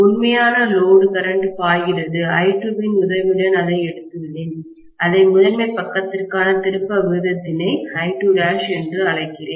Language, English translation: Tamil, Actual load current flowing is I2, I have taken it with the help of turn’s ratio to the primary side and I am calling that as I2 dash